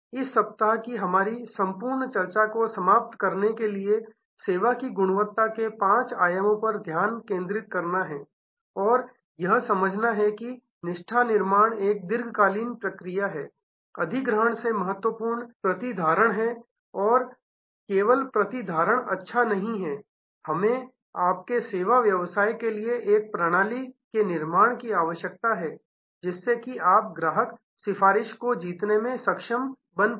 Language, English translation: Hindi, To conclude our whole discussion of this week is to focus on the five dimensions of service quality and to understand that loyalty building is a long term process retention is much more important than acquisition and only retention is not give good enough we have to create your system in your service business that you are able to win customer advocacy